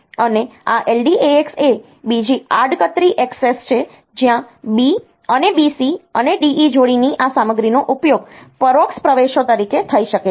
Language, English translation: Gujarati, And this LDAX is another indirect access where this content of B and B C and D E pairs, they can be used as the indirect entries